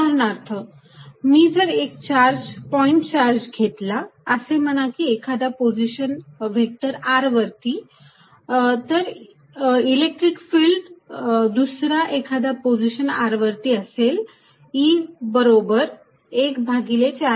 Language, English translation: Marathi, For example, if I take a point charge, let us say at some position vector R, then the electric field at some other position r is going to be E equals 1 over 4 pi Epsilon 0